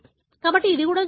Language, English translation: Telugu, So, this also can happen